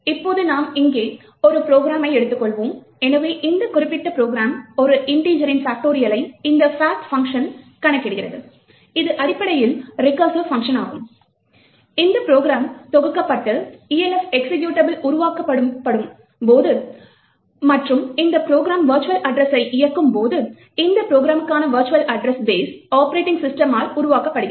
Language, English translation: Tamil, Now we have taken here a small program, so this particular program computes the factorial of an integer in by this function fact which is essentially a recursive function, when this program is compiled and Elf executable gets created and when this program is run the virtual address space for this program gets created by the operating system